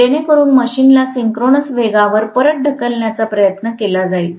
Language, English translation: Marathi, So that will try to push the machine back to synchronous speed that is what is going to happen